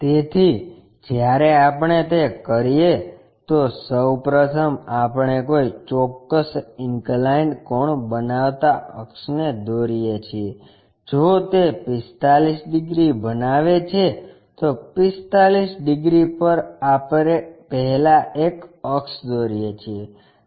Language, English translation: Gujarati, So, when we do that, first of all we draw an axis making certain inclination angle maybe if it is making 45 degrees, at 45 degrees first we draw an axis